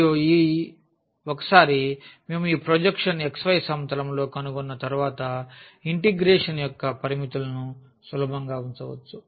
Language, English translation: Telugu, And, then once we have figured out this projection on the xy plane then we can easily put the limits of the integration